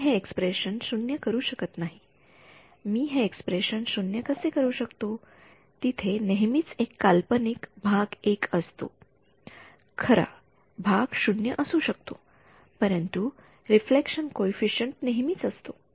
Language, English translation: Marathi, I cannot make this expression 0 how will I make this expression 0 there is always an imaginary part I can be the real part 0, but the reflection coefficient will always be there